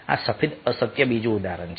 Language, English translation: Gujarati, ok, this is another example of white lies